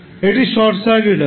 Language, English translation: Bengali, This will be short circuited